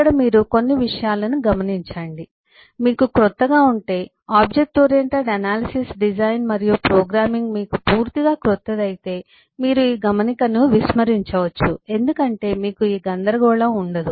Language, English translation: Telugu, these are: if you are new to completely new to object oriented analysis, design and programming particularly, then you may ignore this note because eh, you will not have this confusion